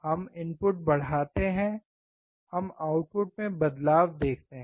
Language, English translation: Hindi, We increase the input; we see change in output